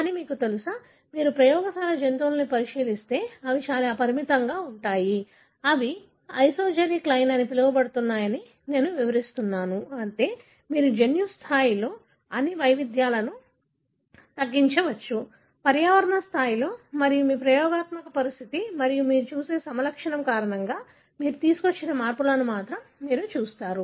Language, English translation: Telugu, But you know, the sequence variations if you, look into the lab animals, they are very, very limited, that is what I was explaining that they are what is called as isogenic line, meaning you minimize all the variations at the genetic level, at the environmental level and only you look at changes you bring in, because of your experimental condition and the phenotype that you see in